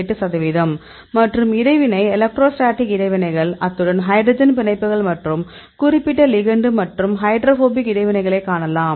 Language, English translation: Tamil, 8 percent and here you can see the interaction electrostatic interactions, as well as the hydrogen bonds and the other hydrophobic interactions for this particular ligand